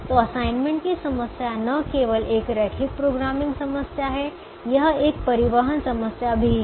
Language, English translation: Hindi, so the assignment problem is not only a linear programming problem, it is also a transportation problem